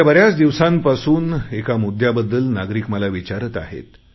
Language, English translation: Marathi, Since a long time people have been asking me questions on one topic